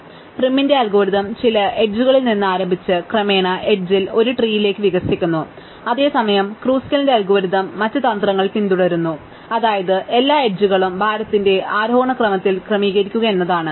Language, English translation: Malayalam, So, prim's algorithm starts with some edge and gradually expands the edge into a tree, whereas Kruskal's algorithm follows the other strategy, which is to order all the edges in ascending order of weight